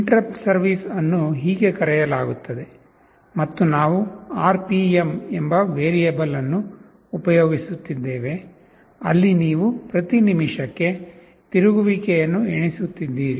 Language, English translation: Kannada, That is how interrupt service routine gets called, and we have declared a variable called RPM, where you are counting revolutions per minute